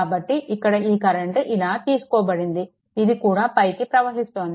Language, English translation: Telugu, So, here this current is taken like this; this is also upward